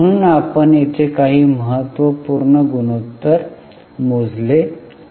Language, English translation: Marathi, Okay, so we have just calculated few important ratios here